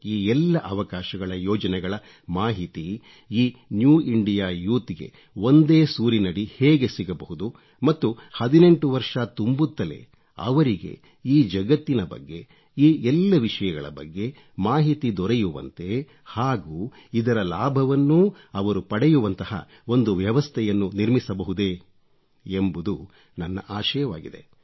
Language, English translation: Kannada, I wish that the New India Youth get information and details of all these new opportunities and plans at one place and a system be created so that every young person on turning 18 should automatically get to know all this and benefit from it